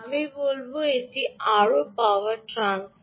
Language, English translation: Bengali, i would say it's more power transfer, transfer of power